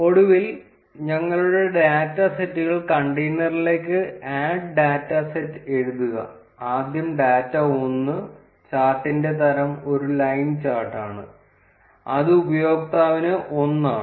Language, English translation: Malayalam, And then finally, add our data sets to the container by writing add data set, first is the data 1; the type of the chart is a line chart and it is for user 1